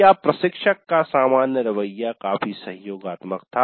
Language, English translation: Hindi, The general attitude of the instructor was quite supportive